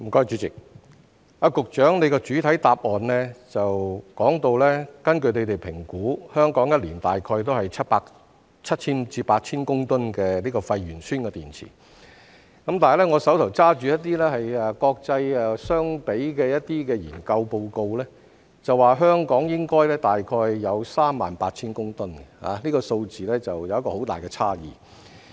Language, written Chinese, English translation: Cantonese, 主席，局長的主體答覆表示，根據他們的評估，香港每年產生大概7000至8000公噸廢鉛酸電池，但我手上拿着與國際相比的研究報告，指香港應該大概有38000公噸，這數字有很大的差異。, President the Secretarys main reply states that according to their assessment about 7 000 to 8 000 tonnes of waste lead - acid batteries are produced in Hong Kong each year . However the study report I have in hand with comparisons with other places in the world indicates that the amount in Hong Kong should be about 38 000 tonnes . This figure carries a big difference